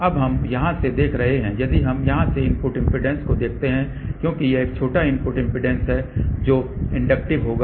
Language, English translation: Hindi, So, now, we looking from here if we look at the input impedance from here since this is a shorted input impedance of this will be inductive